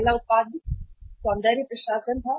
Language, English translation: Hindi, First product was cosmetics